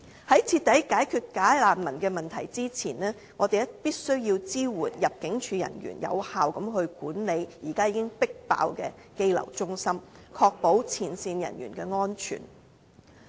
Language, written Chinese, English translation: Cantonese, 在徹底解決假難民問題之前，我們必須支援入境處人員有效管理現時已經超出負荷的羈留中心，確保前線人員的安全。, Before the bogus refugees problem is completely solved we must support ImmD so that they can effectively manage the overloaded detention centres thereby ensuring the safety of frontline officers